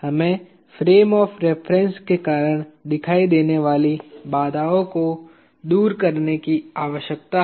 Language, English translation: Hindi, We need to remove the restrains that appear due to fixed frame of reference